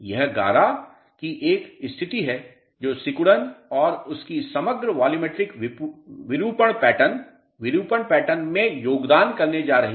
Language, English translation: Hindi, It is a state of the slurry which is also going to contribute to the shrinkage and its overall volumetric deformation pattern deformation pattern